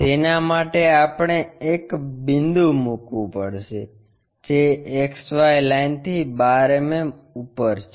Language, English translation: Gujarati, For that we have to locate a' point which is 12 mm above XY line